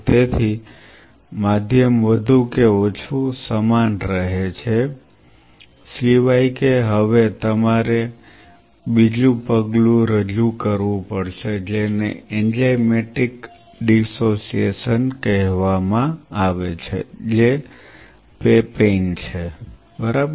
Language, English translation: Gujarati, So, medium remains more or less the same except that now you have to introduce another step which are which is called enzymatic dissociation which is the papain ok